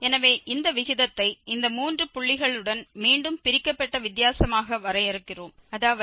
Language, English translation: Tamil, So, here this ratio we are defining as this divided difference again with these three points, that is x 2 x 1 and x naught